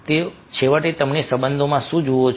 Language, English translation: Gujarati, so, finally, what you look for in relationship